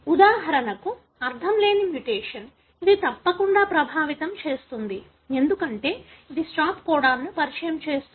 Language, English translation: Telugu, For example, nonsense mutation, invariably it would affect, because it introduces a stop codon